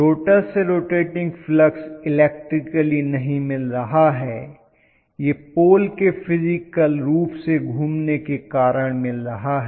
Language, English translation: Hindi, The rotor is not having rotating flux electrically; it is because the physically rotating poles